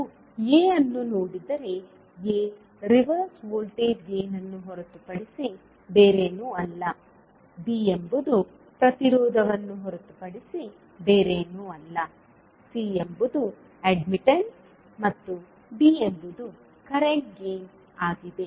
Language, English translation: Kannada, If you see A, A is nothing but a reverse voltage gain, B is nothing but the impedance, C is the admittance and D is current gain